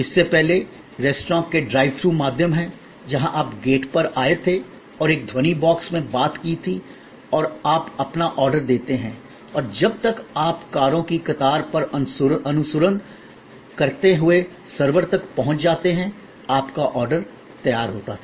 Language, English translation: Hindi, Earlier, there is to be the so called drive through restaurants, where you came to the gate and spoke into a sound box and you place your order and by the time, you reach the server following the queue of cars, your order was ready